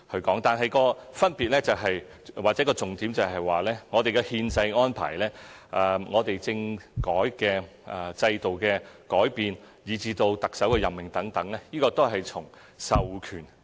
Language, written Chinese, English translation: Cantonese, 不過，分別或重點是，我們的憲制安排、政治制度的改變，以至特首的任命等，均從授權而來。, The point is that our constitutional arrangements changes in our political system as well as the appointment of the Chief Executive are all carried out under the powers delegated by the Central Government